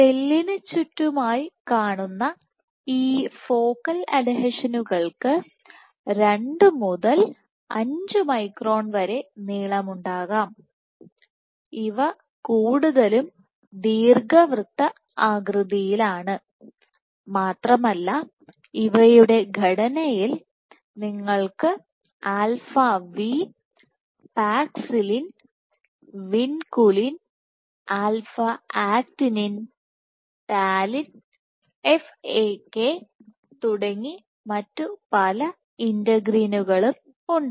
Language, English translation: Malayalam, So, the size of the focal adhesions, so focal adhesions are present at the cell periphery can be 2 to 5 microns in length, and these are also more oval in shape, and these in terms of composition you have integrals like alpha v, Paxillin, Vinculin, alpha Actinin, Talin FAK and many others